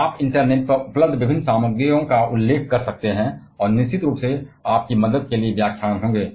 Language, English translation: Hindi, You can refer to different materials available on internet and of course, the lectures will be there for your help